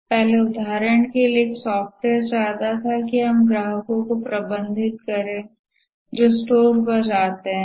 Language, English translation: Hindi, Earlier, for example, wanted a software to, let's say, manage the customers who visit the store